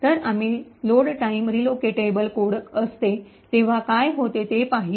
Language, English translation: Marathi, So, we have seen what happens when the load time relocatable code